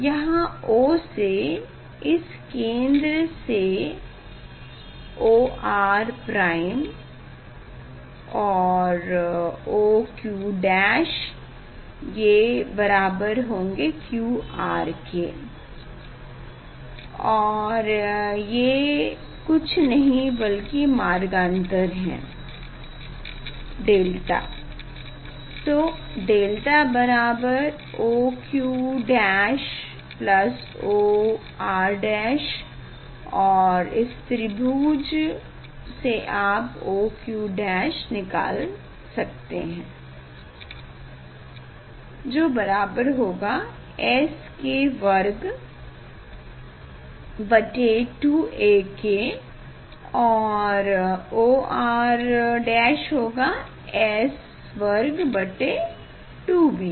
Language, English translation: Hindi, delta here equal to O Q dash plus O R dash, O Q dash plus O R dash and from the angle triangle ok, you can find out that O Q dash is equal to S square by 2 a and O R dash equal to S square by 2 b